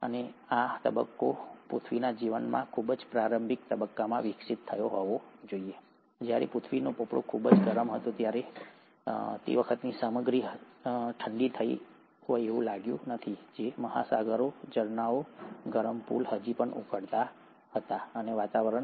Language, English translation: Gujarati, Now this must be the phase which must have evolved during the very early stages of earth’s life, when the earth’s crust was very hot, the material has still not cooled down, the oceans, the springs, the hot pools were still boiling, the atmosphere was highly reducing